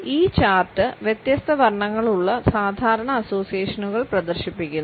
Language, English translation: Malayalam, This chart displays the normal associations which we have with different colors